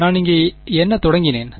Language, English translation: Tamil, So what I started with here